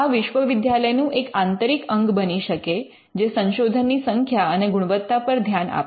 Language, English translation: Gujarati, So, this becomes an internal organ within the university which can look at the quality and the quantity of research